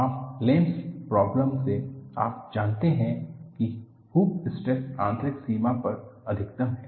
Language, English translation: Hindi, From your Lanis problem you know that, hoop stress is maximum at the inner boundary